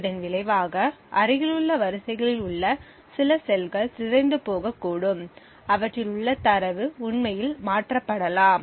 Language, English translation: Tamil, The result is that certain cells on the adjacent rows may get corrupted and the data present in them may actually be toggled